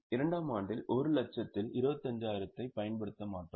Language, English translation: Tamil, In year 2, we will not apply 25,000 on 1 lakh